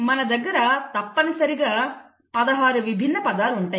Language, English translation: Telugu, So you essentially, will have 16 different words